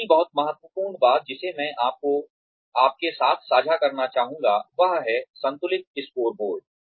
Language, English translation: Hindi, The other, very important thing, that I would like to share with you, is the balanced scorecard